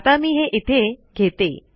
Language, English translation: Marathi, So let me take it here